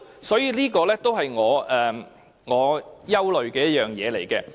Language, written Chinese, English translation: Cantonese, 所以，這也是我憂慮的其中一點。, Therefore this is also one of my worries